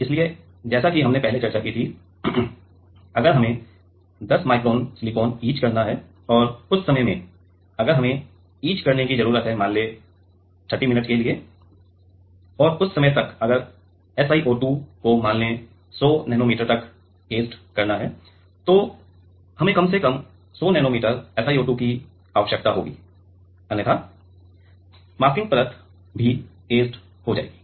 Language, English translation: Hindi, So, as we discussed earlier that; if we have to etch 10 micron of silicon and in that time, if we need to etch let us say for 30 minutes for that and by that time if SiO2 is etched by let us say 100 nano meter then, we need atleast 100 nano meter SiO2